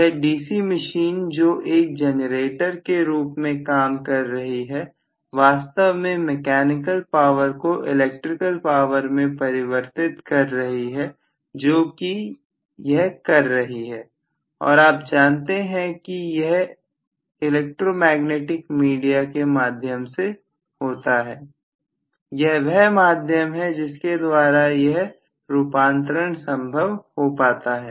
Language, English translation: Hindi, This DC machine which is working as a generator is actually converting the mechanical power into electrical power that is what it is doing and through the electromagnetic you know via media in between you are having the via media that is what is allowing the conversion to take place